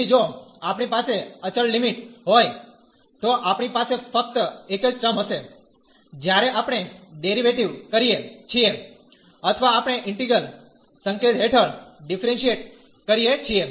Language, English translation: Gujarati, So, if we have the constant limits, we will have only the one term, when we take the derivative or we differentiate under integral sign